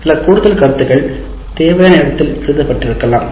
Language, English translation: Tamil, It may be some additional comments written at different places